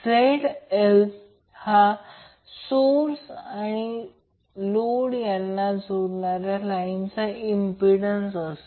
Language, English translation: Marathi, ZL is impedance of the line joining the phase of source to the phase of load